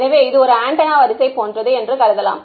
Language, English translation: Tamil, So, this can be thought of as a like an an antenna array